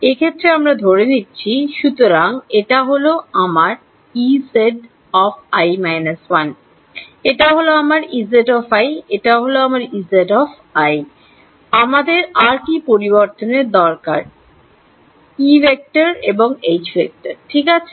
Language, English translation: Bengali, On this I am considering, so, this is my E z i minus 1, this is my E z i, this is my E z i plus 1 what other variables I need it E and H ok